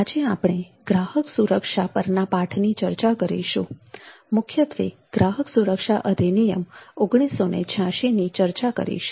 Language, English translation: Gujarati, today we will discuss the lesson on customer protection and will mainly discuss the consume protection act 1986